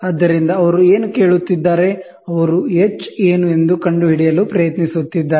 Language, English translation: Kannada, So, what are they asking, they are trying to find out what is h